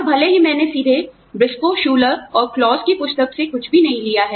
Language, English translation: Hindi, And, even though, I have not taken anything, directly from the book by, Briscoe, Schuler, and Claus